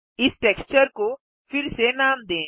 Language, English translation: Hindi, lets rename this texture